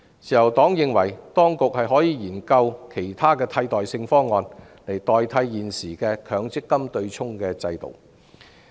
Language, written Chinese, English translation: Cantonese, 自由黨認為，當局可以研究其他替代方案，來取代現時的強積金對沖制度。, The Liberal Party holds that the authorities can study other alternative plans to replace the existing MPF offsetting mechanism